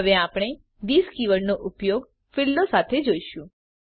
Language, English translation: Gujarati, Now we will see the use of this keyword with fields